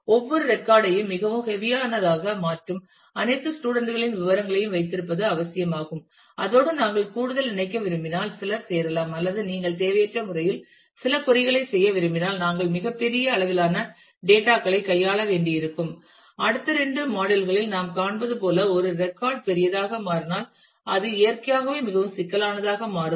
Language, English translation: Tamil, Is it necessary to have all the students details with that one that make every record very heavy and if we want to extra connect with that do some join or if you want to do some query unnecessarily we will have to deal with very large units of data and as we will see in the next couple of modules that if a record becomes larger dealing with it become naturally becomes more cumbersome